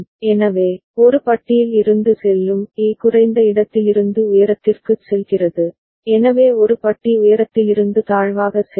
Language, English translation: Tamil, So, A bar will go from A is going from low to high, so A bar will go from high to low